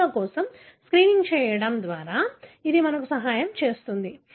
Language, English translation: Telugu, The way it helps us is by screening for genes